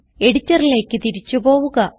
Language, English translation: Malayalam, Let us go back to the Editor